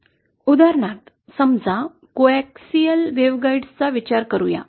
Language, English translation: Marathi, For example, say let us consider coaxial waveguides